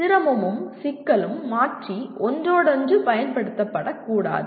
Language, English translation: Tamil, Difficulty and complexity should not be interchangeably used